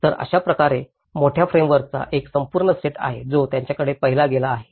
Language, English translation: Marathi, So, like that there is a whole set of larger framework which has been looked at it